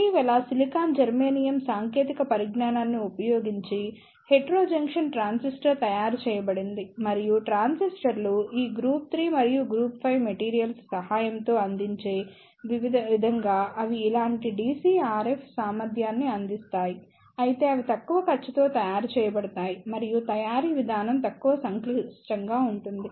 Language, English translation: Telugu, Recently, hetrojunction transistor is made using the silicon germanium technology and they provide the similar DC RF efficiency as the transistors provide with the help of these group 3 and group 5 materials, but they are made at relatively low cost and with relatively low complexity in the manufacturing process